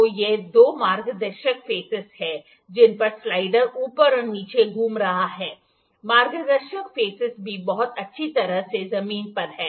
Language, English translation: Hindi, So, these two guiding faces are there on which the slider is moving up and down the guiding faces are also grounded very well